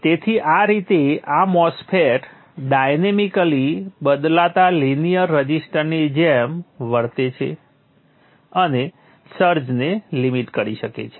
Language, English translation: Gujarati, So this way this MOSFET can behave like a linear resistor dynamically changing and limit the search